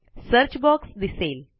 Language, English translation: Marathi, The Search box appears